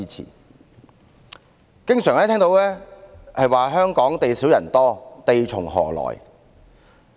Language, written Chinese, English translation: Cantonese, 我們經常聽到香港地少人多，地從何來的問題。, Given that Hong Kong is small but densely populated we often hear the question Where comes the land?